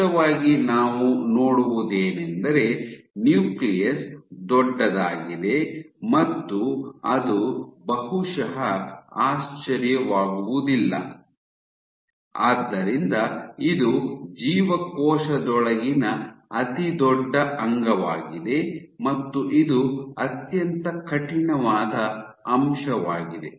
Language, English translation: Kannada, So, clearly what we see is the nucleus is huge, and it is perhaps not surprised, so it is of course, the largest organelle inside the cell and it is also the stiffest component